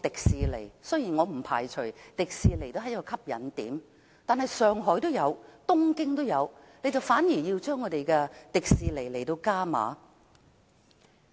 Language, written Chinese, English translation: Cantonese, 雖然我不排除這是一個吸引點，但上海和東京也有迪士尼樂園，政府卻偏偏向樂園加碼。, I do not rule out that Disneyland may be an attraction but Disneyland can also be found in Shanghai and Tokyo and yet the Government has decided to provide additional funding for the expansion of the Hong Kong Disneyland